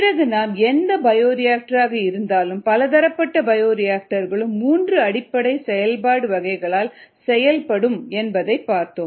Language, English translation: Tamil, then we said that any bioreactor, or many bioreactors, where each bioreactor can be operated in three basic modes ah